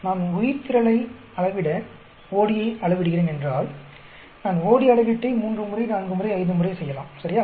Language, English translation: Tamil, If, I am measuring the OD, to measure the biomass, I may do the OD measurement three times, four times, five times, right